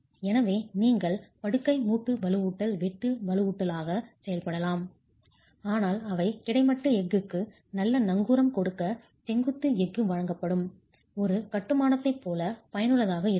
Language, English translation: Tamil, So, you can have bed joint reinforcement acting as shear reinforcement but they cannot be as effective as a construction where vertical steel is provided to account for good anchorage of the horizontal steel itself